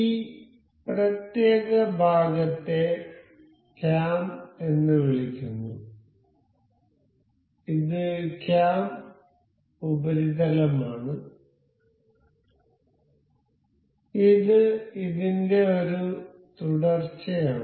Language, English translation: Malayalam, So, this particular part is called as cam, this is cam surface and this is a follower for this